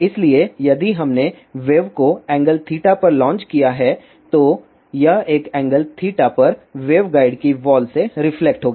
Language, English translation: Hindi, So, if we have launch the wave at an angle theta then it will be reflected from the walls of the waveguide at an angle theta